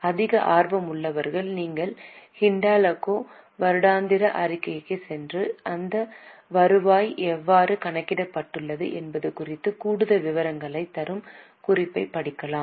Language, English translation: Tamil, Those who are more interested, you can go to the annual report of Hindalco and read the note that will give more details as to how this revenue has been calculated